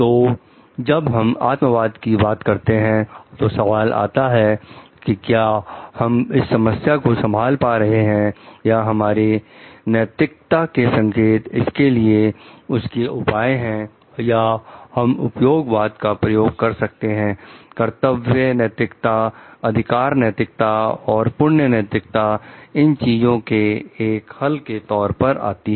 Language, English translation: Hindi, So and when we talk of subjectivism, so question may come how do we tackle this problem or our code of ethics a solution for this or we can use utilitarianism, duty ethics, rights ethics and virtue ethics as a solution for these things